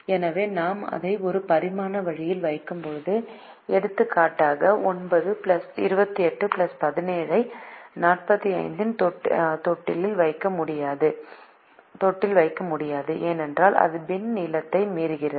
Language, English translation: Tamil, so when i put it in a one dimensional way, i won't be able to put, for example, nine plus twenty, eight plus seventeen into a bin of forty five because it exceeds the bin length